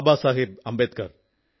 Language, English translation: Malayalam, Baba Saheb Ambedkar